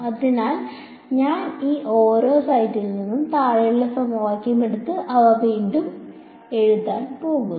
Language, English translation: Malayalam, So, I am going to take the bottom equation from each of these sets and just rewrite them